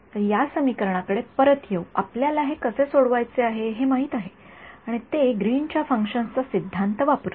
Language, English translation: Marathi, So, coming back to this equation we know how to solve this right and that is using the theory of Green’s functions right